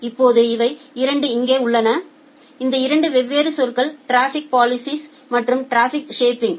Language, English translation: Tamil, Now, these there are 2; this 2 different terms the traffic policing and traffic shaping